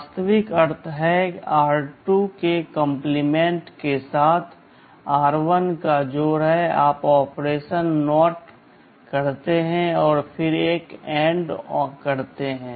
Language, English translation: Hindi, The actual meaning is the register r1 is ANDed with the complement of r2; you take a NOT operation and then do an AND